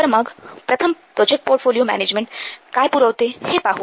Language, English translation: Marathi, So let's first see what this project portfolio management provides